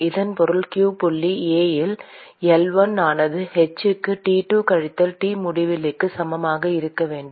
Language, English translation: Tamil, This means q dot A into L1 should be equal to h into T2 minus T infinity